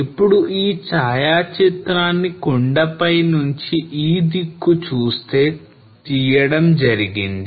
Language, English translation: Telugu, Now this photograph has been taken from this hilltop viewing this side